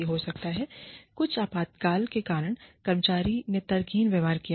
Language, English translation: Hindi, Maybe, because of some emergency, the employee behaved irrationally